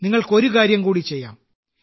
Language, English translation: Malayalam, You can do one more thing